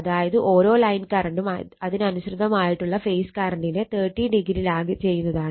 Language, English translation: Malayalam, So, it is already shown earlier right, each line current lags the corresponding phase current by 30 degree